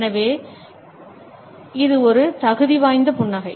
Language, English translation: Tamil, So, this is a qualifier smile